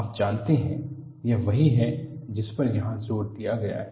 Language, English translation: Hindi, You know, this is what is emphasized here